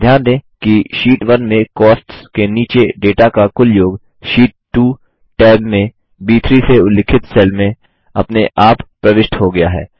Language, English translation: Hindi, Notice, that the grand total of the data under Cost in the Sheet 1 tab is automatically entered into the cell referenced as B3 in the Sheet 2 tab